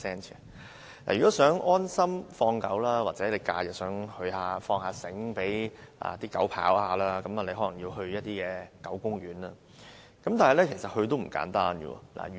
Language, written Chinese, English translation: Cantonese, 如果想安心放狗，或想在假日讓狗自由奔跑，大家可能要到狗公園，但想去狗公園也不容易。, If one wishes to walk his dog leisurely or let his dog run free during holidays he may have to go to a dog garden but this is not an easy task